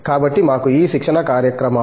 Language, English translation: Telugu, So, we have a number of these training programs